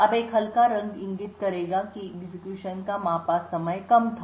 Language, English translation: Hindi, Now a lighter color would indicate that the execution time measured was low